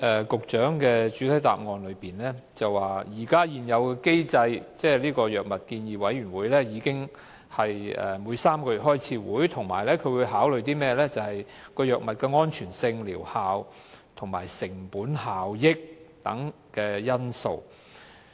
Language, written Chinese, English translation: Cantonese, 局長在主體答覆提到，按現行機制，藥物建議委員會每3個月召開會議，評估新藥物的安全性、療效及成本效益等因素。, In the main reply the Secretary said that under the present system the Drug Advisory Committee conducts meetings once every three months to appraise new drugs in terms of such factors as safety efficacy cost - effectiveness and others